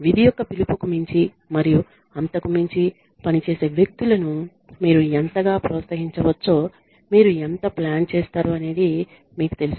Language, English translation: Telugu, You know, how much do you plan for how much can you incentivize people who perform above and beyond the call of duty